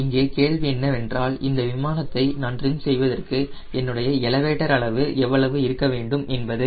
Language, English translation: Tamil, the question here is: what is the elevator size so that i can trim this aero plane here